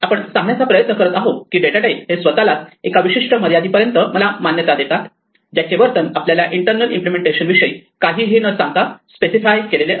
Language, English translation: Marathi, We are trying to say that the data type on it is own should allow only certain limited types of access whose behavior is specified without telling us anything about the internal implementation